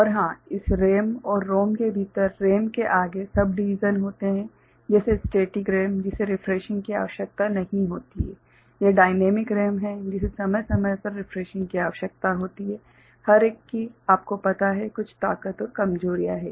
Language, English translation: Hindi, And of course, within this RAM and ROM, there are further subdivisions like in RAM that is called Static RAM, which does not require refreshing that is dynamic RAM which requires periodic refreshing, each one has its you know, strengths and weaknesses